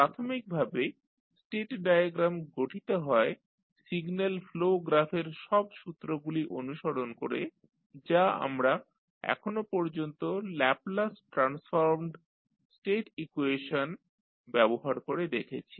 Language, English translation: Bengali, Basically, the state diagram is constructed following all rules of signal flow graph which we have seen till now using Laplace transformed state equation